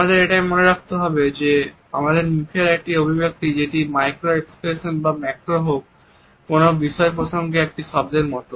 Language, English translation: Bengali, We also have to remember that a single expression on our face whether it is micro or macro is like a word in a particular context